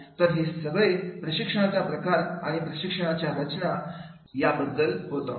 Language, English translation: Marathi, So, this is all about the types of training and the designing of the training program